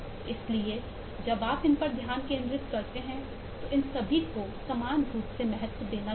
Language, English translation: Hindi, so when you focus on these, all these will have to be equally emphasized